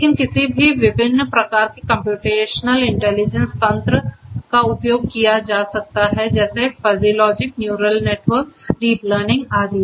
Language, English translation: Hindi, But one could use any of the different types of computational intelligence mechanisms based on may be fuzzy logic, neural networks, deep learning and so on